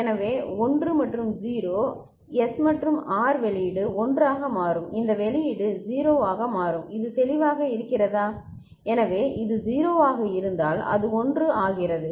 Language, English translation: Tamil, So, 1 and 0 S and R the output will become 1 and this output will become 0 is it clear, so if this was 0 it becomes 1